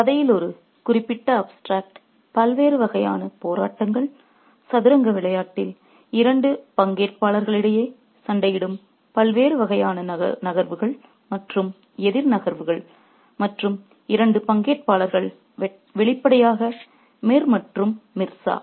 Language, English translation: Tamil, And one particular extract in the story spells out the various kinds of struggles, the various kinds of moves and counter moves that are fought between the two participants in the game of chess and the two participants obviously are Mirza